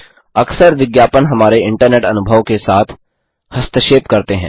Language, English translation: Hindi, * Often ads interfere with our internet experience